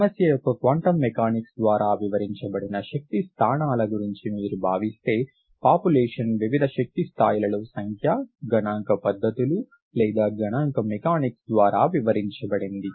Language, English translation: Telugu, If you think of the energy positions as being explained by the quantum mechanics of the problem, the populations, the number at various energy levels is described by statistical methods or statistical mechanics